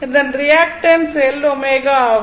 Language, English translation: Tamil, So, its reactance is your L omega